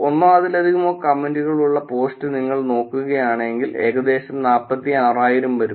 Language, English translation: Malayalam, And if you looked at the post which had one or more comment is about 46,000